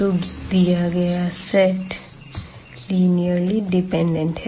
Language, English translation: Hindi, So, this given set of vectors here is linearly dependent